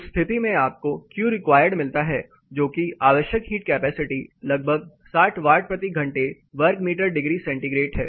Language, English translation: Hindi, In that case you get a Q required that is solar sorry, the heat capacity required is around 60 watt per hour meter square degrees centigrade